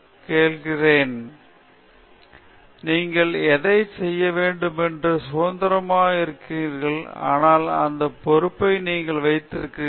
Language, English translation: Tamil, So, you are completely free to do whatever, but still you have that responsibility this is one thing